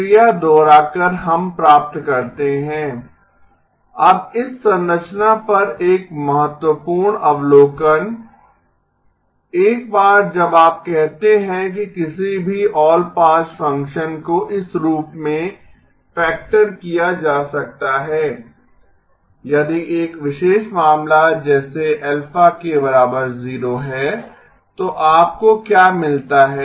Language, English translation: Hindi, Now an important observation on this structure, once you say that any all pass function can be factored in this form if a particular alpha K happens to be zero then what do you get